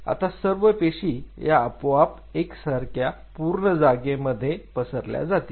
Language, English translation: Marathi, So, the cells now will spread all over the place in a uniform way